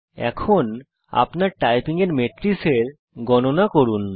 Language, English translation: Bengali, Now let us collect the metrics of our typing